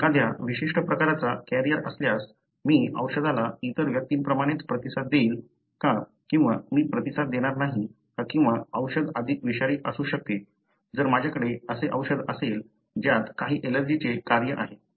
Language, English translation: Marathi, Whether, if I am a carrier of a particular variant, then would I respond to the drug the same way as the other person or would I not respond or the drug may be more toxic, if I have the drug it has some allergic function